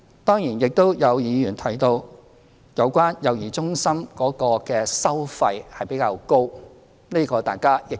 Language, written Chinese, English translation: Cantonese, 當然，亦有議員提到有關幼兒中心的收費比較高，這情況大家亦知悉。, Of course some Members mentioned that the charges of child care centres are rather high which is known to all of us